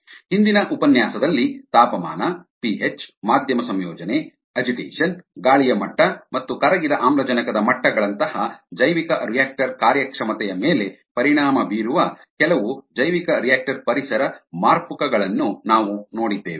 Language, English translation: Kannada, in ah hm the lecture before that, we have looked at ah certain bioreactor environment variables that effect bioreactive performance, such as temperature, ph, ah, medium composition, agitation, aeration levels and dissolved oxygen levels